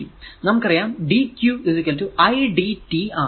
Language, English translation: Malayalam, So, i actually is equal to dq by dt